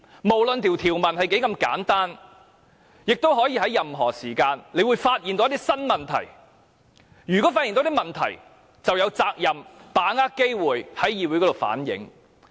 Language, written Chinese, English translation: Cantonese, 無論條文多麼簡單，議員隨時可能會發現一些新問題，如果發現問題，便有責任把握機會在議會反映。, No matter how simple the provisions are Members may find new problems anytime . If problems are found Members are duty - bound to seize any opportunity to reflect them to the Council